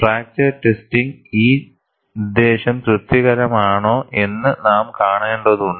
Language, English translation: Malayalam, And we will have to see, whether this purpose is satisfied in fracture testing